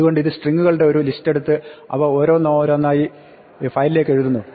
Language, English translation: Malayalam, So, this takes list of strings and writes them one by one into the file